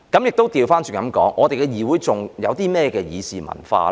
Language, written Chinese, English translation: Cantonese, 我可以反過來問，我們的議會還有甚麼議事文化呢？, I may ask the other way round Do we still have any deliberative culture in our Council?